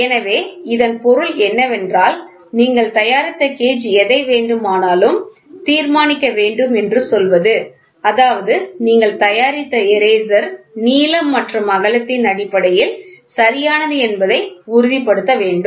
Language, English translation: Tamil, So that means, to say you have to make a gauge you decide whatever it is this gauge should make sure that the eraser whatever is getting manufactured is perfect in terms of length and width